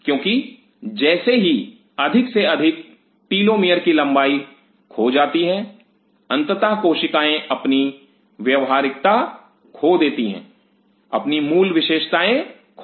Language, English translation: Hindi, Because as more and more telomere lengths are lost eventually the cell loses it is viability loses it is original characteristics